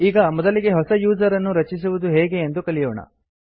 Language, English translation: Kannada, Let us first learn how to create a new user